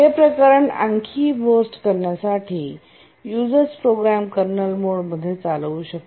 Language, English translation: Marathi, To make the matter worse, even a user program can execute in kernel mode